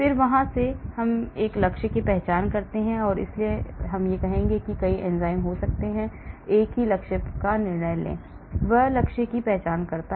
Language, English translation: Hindi, then from there I identify a target, so I will say, there might be many enzymes, but I many decide on only one target, , that is identifying the target